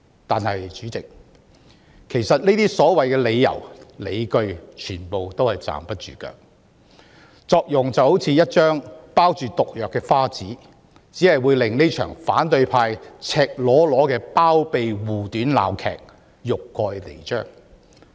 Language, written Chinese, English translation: Cantonese, 但是，這些所謂理由、理據其實全部都站不住腳，就好像一張包着毒藥的花紙，只會令反對派這場赤裸裸的包庇護短鬧劇欲蓋彌彰。, Nevertheless such so - called reasons or arguments are indeed all untenable as if they were gift wrap enclosing poisons . Their show only makes the true nature of such a farce staged by the opposition camp so nakedly to harbour someone and shield his faults more exposed